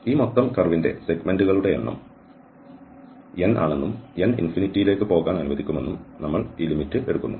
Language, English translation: Malayalam, And then we take this limit that the number of segments of this total curve is N and if let N tend to infinity